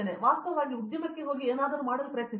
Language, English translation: Kannada, I mean actually go to the industry try and do something